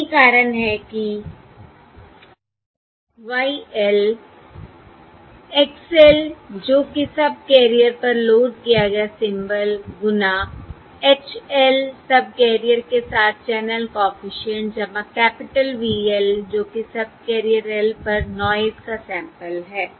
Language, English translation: Hindi, That is, y L equals x L, the symbol loaded onto the subcarrier times h l, the channel coefficient across subcarrier, plus capital V l, which is the noise sample on subcarrier l